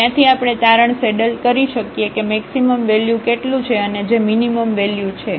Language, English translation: Gujarati, And, from there we can conclude which is the maximum value and which is the minimum value